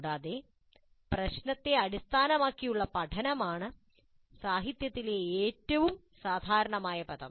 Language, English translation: Malayalam, Further, problem based learning is the most common term in the literature